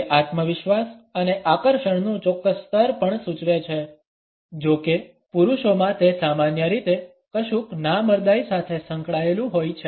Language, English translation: Gujarati, It also suggest a certain level of confidence and attractiveness; however, in men it is normally associated with something effeminate